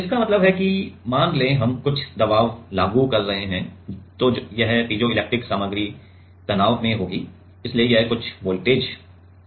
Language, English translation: Hindi, Means that lets say we have some we are applying some pressure, then this piezoelectric material will be under stress so, it will generate some voltage